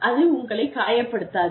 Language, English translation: Tamil, It does not hurt you